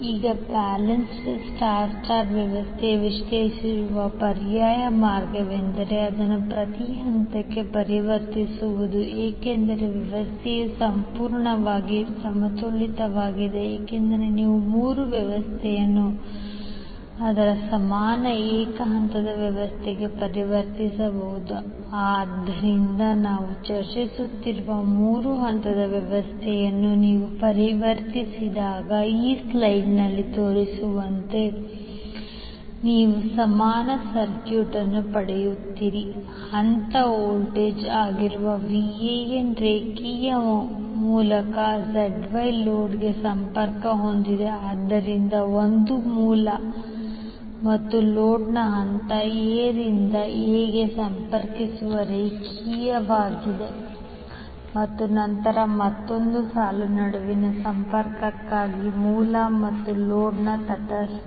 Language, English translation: Kannada, Now alternative way of analyzing the balance star star system is to convert it into per phase because the system is completely balanced you can convert the three system to its equivalent single phase system, so when you convert the three phase system which we are discussing then you get the equivalent circuit as shown in this slide here the VAN that is phase voltage is connected to the load ZY through the line, so one is line connecting between phase A to A of the source and load and then another line is for connection between neutral of the source and load